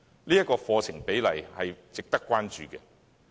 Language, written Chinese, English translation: Cantonese, 這個課程比例，值得關注。, Such a proportion of the curriculum calls for attention